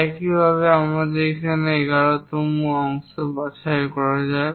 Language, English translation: Bengali, Similarly, let us pick 11th part here